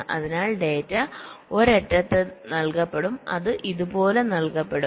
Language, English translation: Malayalam, so data will be for that one and they will go like this